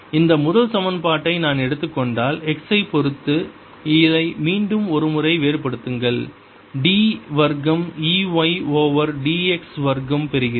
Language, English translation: Tamil, if i take this first equation, differentiate it once more with respect to x, i get d, two, e, y over d, x, square sis equal to minus d by d t, of d b, z by d x